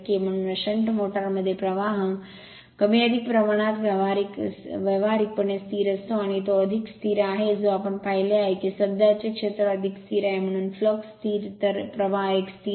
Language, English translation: Marathi, Therefore, in a shunt motor the flux phi is more or less practically constant it is more or less constant that we have seen also field current more or less constant, so flux constant, so flux is a constant